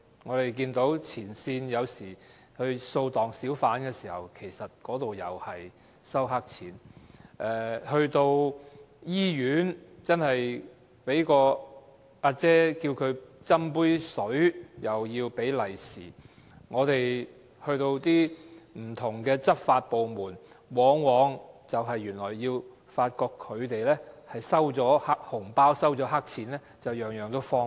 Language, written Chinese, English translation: Cantonese, 我們看到前線警員掃蕩小販時會收黑錢；市民在醫院要求員工給予一杯水也要給紅包；我們到不同執法部門，往往發覺他們在收取黑錢和紅包後才會予以方便。, Frontline police officers accepted bribes during hawker raids; hospital staff asked for red packets for offering just a glass of water; and officers in different law enforcement departments accepted bribes and red packets before rendering assistance